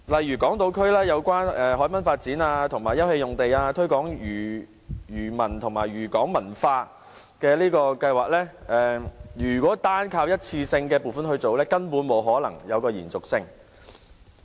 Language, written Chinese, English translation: Cantonese, 以港島區有關海濱發展和休憩用地、推廣漁民和漁港文化計劃為例，如果只靠一次性撥款，根本不可能有延續性。, For instance in the Eastern District we have this proposal for developing the promenade open space and promoting fishermen and fishing port culture but given the one - off funding the whole project could not be sustainable